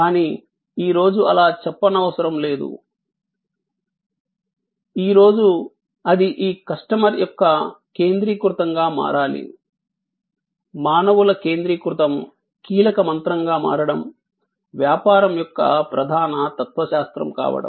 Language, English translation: Telugu, But, today that is not a say so, today it has to become this customer's centricity, humans centricity as to become the key mantra, as to become the core philosophy of business